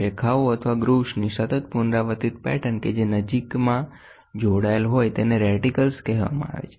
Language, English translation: Gujarati, Scales with a continuous repeating pattern of lines or groves that are closely spaced are called as reticles